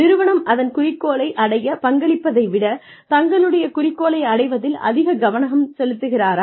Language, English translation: Tamil, So, is the employee, more focused on achieving her or his goals, than contributing to the organization's goals